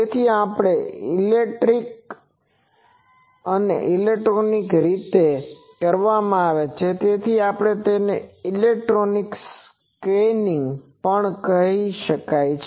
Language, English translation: Gujarati, So, since this is done electronically, it is also called electronic scanning